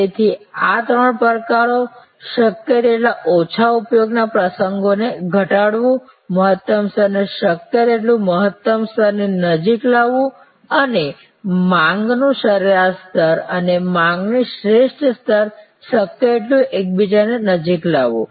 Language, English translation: Gujarati, So, there are these three challenges, reduce the occasions of low utilization as much as possible, bring the optimum level as close to the maximum level as possible and see that the average level of demand and optimal level of demand are as close to each other as possible